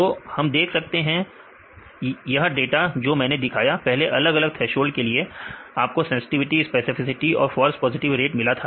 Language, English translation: Hindi, So, now, we can see this is the data I showed earlier different threshold you can get the sensitivity specificity and false positive rate